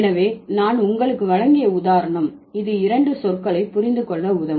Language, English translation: Tamil, So, this, the hand example that I gave you that would help us to understand two terms